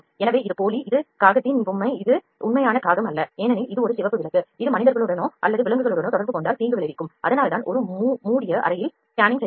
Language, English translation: Tamil, So, this is the dummy this is the toy of crow this is not the actual crow because, this is a red light that would be harmful if it come into contact with any living being humans or animals, so that is why it is a close chamber scanning